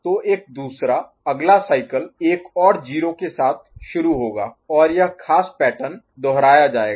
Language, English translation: Hindi, So, other one will, the next cycle will start with another 0 and this particular pattern will get repeated ok